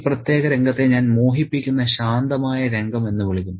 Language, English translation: Malayalam, And I would call this particular scene as a very, very deceptively calm scene